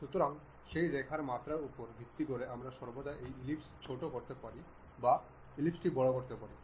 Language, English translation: Bengali, So, based on that Line dimension we can always either shrink this ellipse or enlarge the ellipse